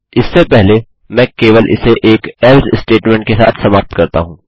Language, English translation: Hindi, Before that let me just conclude this with an else statement